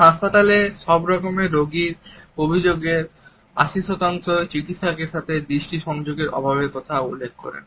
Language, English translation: Bengali, 80 percent of all patient complaints in hospitals mention a lack of eye contact between the doctor and the